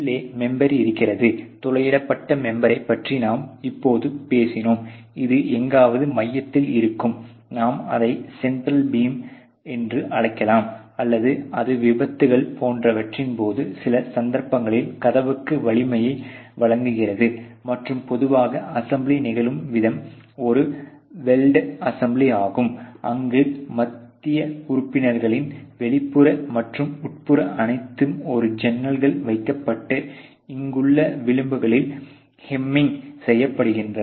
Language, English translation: Tamil, And then there is the inside member which we just talked about ok the perforated member, and this is somewhere in the center you can call it a central beam or you know it is something which is provided providing the strength to the door in some cases in case of accidents etcetera, and typically the way that the assemble happens is a welled assembly where the outer and the inner in the central members or all put in a jack and the hamming is done on the edges here